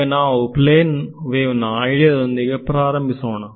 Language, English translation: Kannada, So, let us start with the plane wave idea